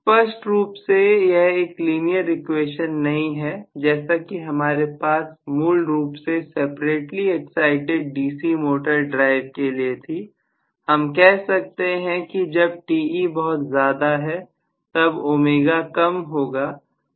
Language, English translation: Hindi, Very clearly this is not a linear equation, like what we had originally for the separately excited DC motor drive, I can say when Te is very large, right, I am going to have omega to be very small